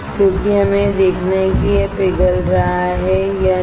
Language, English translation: Hindi, Because we are to see whether it is melting or not